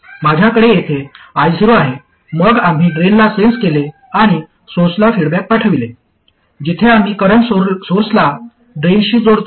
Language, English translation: Marathi, Then we looked at sensing at the drain and feeding back to the source, where we connect the current source to the drain